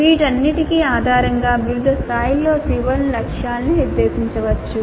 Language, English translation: Telugu, Based on all these the COs can be set the targets can be set for COs at different levels